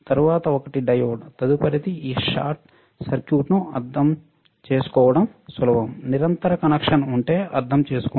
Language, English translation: Telugu, Then next one is diode, next one is for understanding this short circuit is easy to understand if the if there is a continuous connection